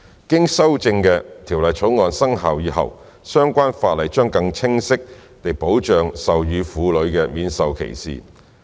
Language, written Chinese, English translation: Cantonese, 經修正的《條例草案》生效以後，相關法例將更清晰地保障授乳婦女免受歧視。, After the amended Bill has come into effect breastfeeding women will be granted clear protection from discrimination under the relevant ordinance